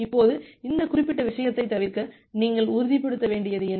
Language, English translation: Tamil, Now, to avoid this particular thing, what you have to ensure